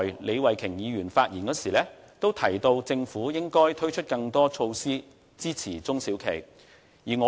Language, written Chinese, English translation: Cantonese, 李慧琼議員剛才發言時也提到，政府應該推出更多支持中小企的措施。, Ms Starry LEE has rightly mentioned in her speech that the Government should provide SMEs with more supportive measures